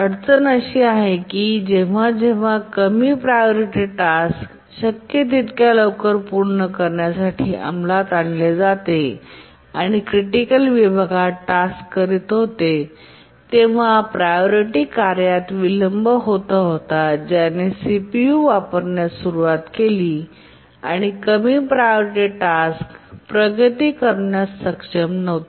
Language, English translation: Marathi, If you remember a low priority task which was executing in the critical section was getting delayed by intermediate priority tasks which has started to use the CPU and the low priority task could not make progress